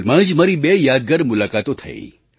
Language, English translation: Gujarati, Just recently I had two memorable meetings